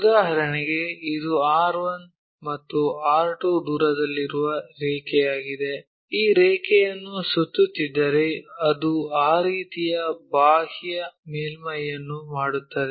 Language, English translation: Kannada, For example here, this is the line which is at a distance R 1, and R 2, if this line we revolve it, it makes a peripheral surface in that way